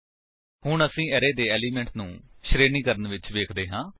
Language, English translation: Punjabi, Now, let us look at sorting the elements of the array